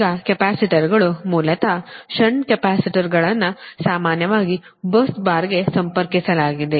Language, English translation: Kannada, now, capacitors, basically you will find shunt capacitors is generally connected to a bus bar